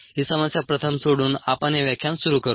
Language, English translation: Marathi, we will start this lecture by solving this problem first